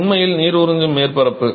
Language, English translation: Tamil, So, it's really the surface absorbing water